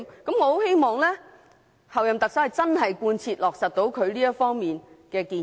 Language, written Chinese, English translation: Cantonese, 我很希望候任特首能真正貫徹落實她這方面的建議。, I very much hope that the Chief Executive - elect can indeed fully implement her proposal in this regard